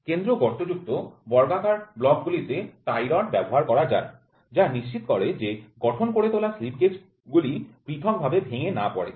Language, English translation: Bengali, The square block with center hole permits the use of tie rods, which ensures the built up slip gauges do not fall apart